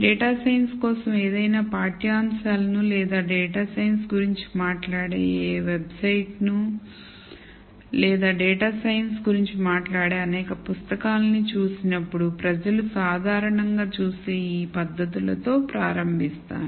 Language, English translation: Telugu, So, let me start with this laundry list of techniques that people usually see when they look at any curriculum for data science or any website which talks about data science or many books that talk about data science